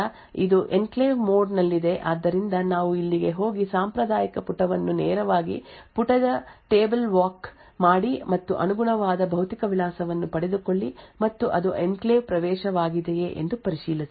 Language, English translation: Kannada, So will follow this again will set enclave access to zero then is it in enclave mode so it is no so we go here perform the traditional page directly page table walk and obtain the corresponding physical address and check whether it is an enclave access